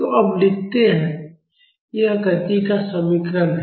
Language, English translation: Hindi, So, now, let’s write, it is equation of motion